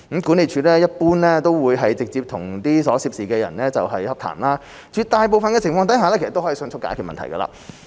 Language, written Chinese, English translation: Cantonese, 管理處一般會直接與所涉人士洽談，絕大部分情況下可迅速解決問題。, The management office will normally liaise directly with the relevant parties which should resolve the issue swiftly in most cases